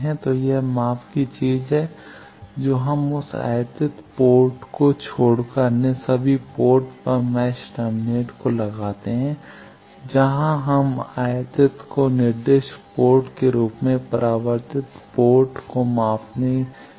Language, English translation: Hindi, So, this is the measurement thing we put match termination at all other ports except the incident port where we were trying to give incident and measure the reflected port as the designated port